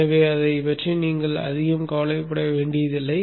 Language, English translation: Tamil, Oh you need not bother much about that